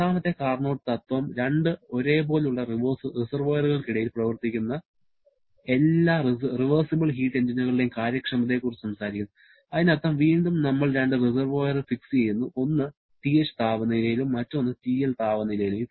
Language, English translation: Malayalam, Second Carnot principle talks about the efficiency of all reversible heat engines operating between the same 2 reservoirs are the same, means again we are fixing up 2 reservoirs, one at temperature TH, other at temperature TL